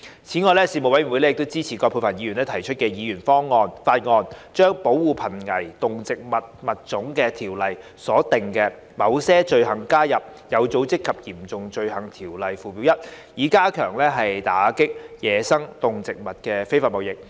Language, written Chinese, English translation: Cantonese, 此外，事務委員會支持葛珮帆議員提出的議員法案，將《保護瀕危動植物物種條例》所訂的某些罪行加入《有組織及嚴重罪行條例》附表 1， 以加強打擊野生動植物非法貿易。, Besides the Panel supported the Members Bill proposed by Ms Elizabeth QUAT to add certain offences under the Protection of Endangered Species of Animals and Plants Ordinance to Schedule 1 to the Organized and Serious Crimes Ordinance with a view to strengthening the combat against illegal wildlife trade